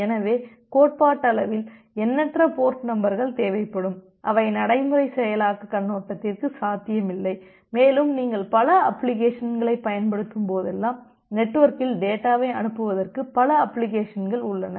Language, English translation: Tamil, So, in that case theoretically will be requiring infinite number of port addresses which is not feasible for the practical implementation point of view, and whenever also your utilizing multiple application so, there are multiple applications which are kind to send data over the network